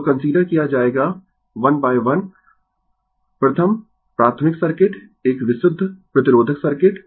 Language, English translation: Hindi, So, we will considered 1 by 1: first, elementary circuit, a purely resistive circuit